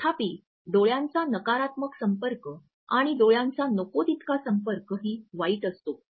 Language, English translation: Marathi, However, if a negative eye contact is, but too much of an eye contact is equally bad if not worse